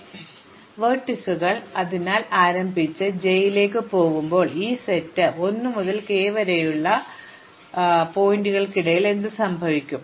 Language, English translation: Malayalam, So, only says is that the intermediate vertices, so when I start with i and go to j, what happens in between lies in this set 1 to k